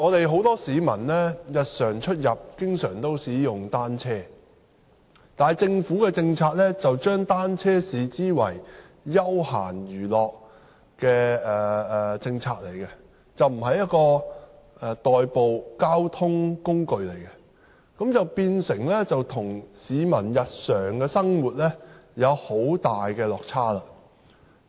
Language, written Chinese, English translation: Cantonese, 很多市民日常出入都經常使用單車，但政府的政策把單車視為休閒娛樂，而不是一種代步的交通工具，變成與市民的日常生活需要有很大落差。, Many people often commute by bicycles but the Governments policy treats cycling as a recreation and not a means of transportation . Thus there is a big gap in the Governments understanding of the daily needs of the people . Take the North District as an example